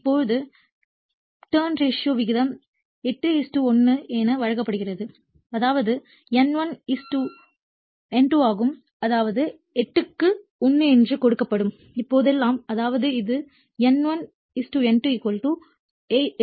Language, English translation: Tamil, So, now turns ratio is given 8 is to 1 means it is N1 is to N2 I mean whenever it is given that 8 is to 1; that means, it is N1 is to N2 = 8 is to 1